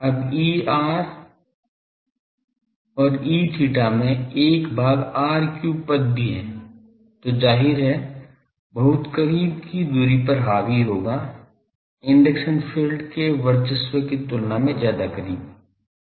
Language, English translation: Hindi, E r and E theta also contain 1, 1 by r cube term now, which obviously, will dominate at very close distances, much closer than the domination of induction fields